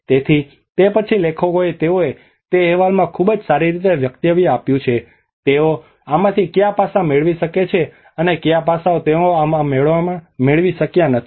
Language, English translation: Gujarati, So that is then authors they have articulated very well in that report that what aspects they could able to get from these and what aspects they could not able to get in these